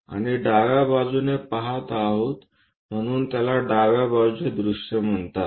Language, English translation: Marathi, And we are looking from left side so, it is called left side view